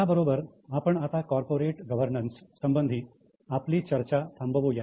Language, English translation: Marathi, So, with this we will stop our discussion on corporate governance